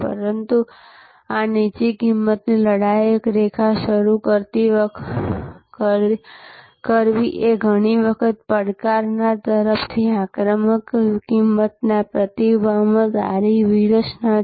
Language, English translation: Gujarati, But, this launching a low price fighter line is often a good strategy in response to an aggressive predatory pricing from a challenger